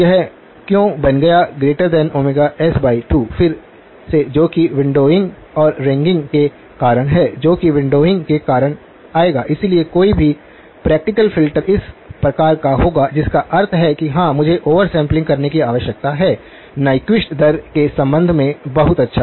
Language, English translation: Hindi, Why did it become greater than omega s by 2, again that is because of the windowing and the ringing that will come in because of windowing, so any practical filter will be of this type which means that yes I need to be over sampled with respect to a Nyquist rate, very good